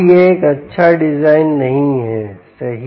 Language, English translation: Hindi, so this is not a good design, right